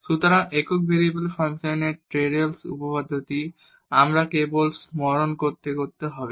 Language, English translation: Bengali, So, what is the Taylors theorem of function of single variables we need to just recall